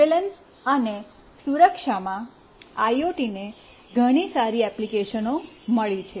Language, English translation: Gujarati, In surveillance and security, IoT has got very good applications